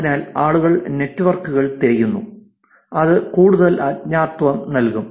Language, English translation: Malayalam, So, therefore people are looking for networks, that will give more anonymity